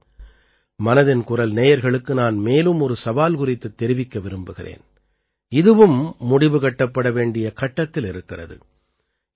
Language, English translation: Tamil, Today, I would like to tell the listeners of 'Mann Ki Baat' about another challenge, which is now about to end